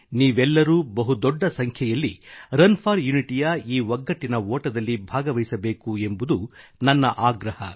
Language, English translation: Kannada, I urge you to participate in the largest possible numbers in this run for unity